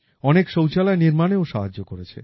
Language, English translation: Bengali, It has also helped in the construction of many toilets